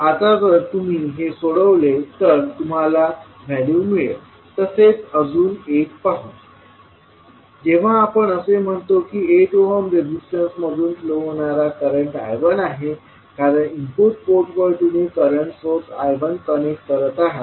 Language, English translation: Marathi, Now if you simplify, you will get the value of the now, let us see another thing when you are saying that voltage across the current flowing through 8 ohm resistance is I 1 because you are connecting the current source I 1 at the input port